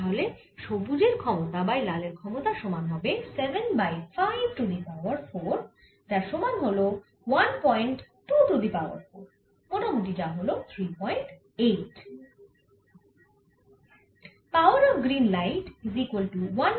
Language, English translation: Bengali, so power of green over power of red is going to be seven over five raise to four, which is one point two raise o four, roughly equal to three point eight